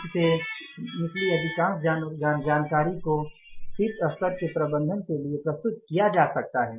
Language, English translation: Hindi, Most of the information out of this can be presented to the top level management